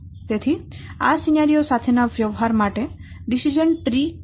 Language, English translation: Gujarati, So, decision trace comes in handy for dealing with these scenarios